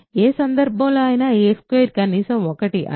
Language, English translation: Telugu, In either case a squared is at least 1 similarly b squared is at least 1